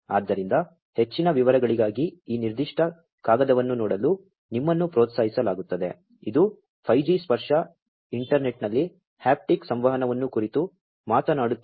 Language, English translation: Kannada, So, for more details you are encouraged to look at this particular paper, which is talking about towards haptic communication over the 5G tactile internet